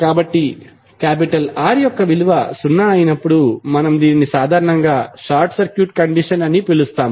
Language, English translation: Telugu, So, when the value of R is zero, we generally call it as a short circuit condition